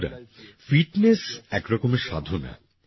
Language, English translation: Bengali, Friends, fitness is a kind of penance